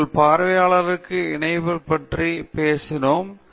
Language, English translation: Tamil, We spoke about connecting with your audience